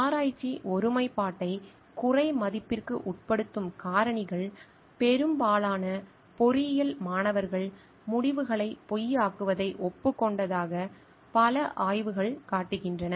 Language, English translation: Tamil, Factors that undermine research integrity, many survey show that majority of the engineering students have admitted to falsifying of results